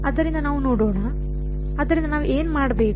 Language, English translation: Kannada, So, let us see, so what should we do